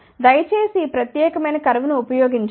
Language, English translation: Telugu, Please do not use this particular curve